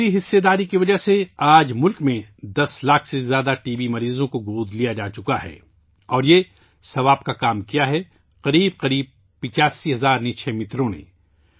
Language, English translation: Urdu, It is due to this participation, that today, more than 10 lakh TB patients in the country have been adopted… and this is a noble deed on the part of close to 85 thousand Nikshay Mitras